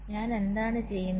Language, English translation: Malayalam, so what i do